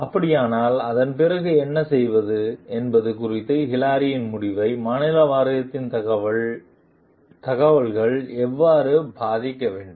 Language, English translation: Tamil, If so, how ought the information from the state board affect Hilary s decision about what to do after that